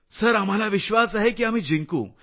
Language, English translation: Marathi, Sir we believe we shall overcome